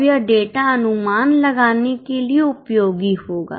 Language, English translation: Hindi, Now this data will be useful for making projections